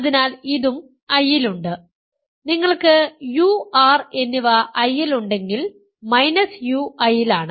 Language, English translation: Malayalam, So, this is also in I if you have u and r in I minus u is in I minus r is in I there difference is in I